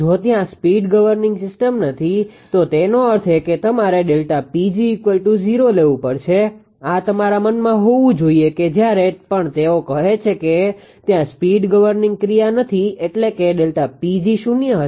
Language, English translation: Gujarati, If there is no speed governing system means that delta P g is equal to 0 you have to take; this should be in your mind that whenever they say no speed governing action means delta P g will be 0 right